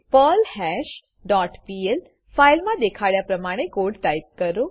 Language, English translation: Gujarati, Type the code as shown in your perlHash dot pl file